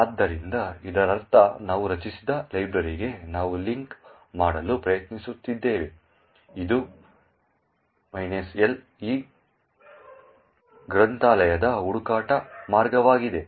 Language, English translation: Kannada, So, this means that we are trying to link to the library that we have created, this minus capital L is the search path for this particular library